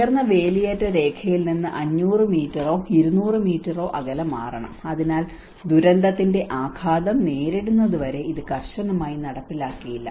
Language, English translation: Malayalam, We have to move away from the high tide line 500 meters or 200 meters away so which means there is no strict enforcement of this until we face that impact of the disaster